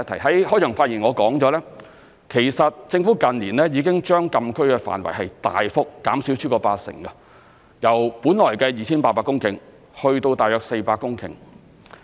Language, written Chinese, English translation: Cantonese, 在開場發言我曾提及，其實政府近年已經將禁區範圍大幅減少超過八成，由本來的 2,800 公頃減至約400公頃。, As I mentioned in my opening speech the Government has in fact reduced the size of closed area by more than 80 % in recent years from the original 2 800 hectares to about 400 hectares